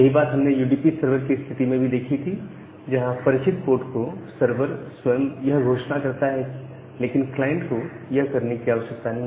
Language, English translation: Hindi, So, the same thing as we have seen for the UDP server case that, the server is announcing itself to a well known port, but the client need not to do it